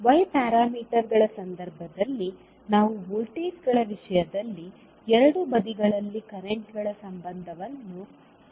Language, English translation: Kannada, While in case of y parameters we stabilize the relationship for currents at both sides in terms of voltages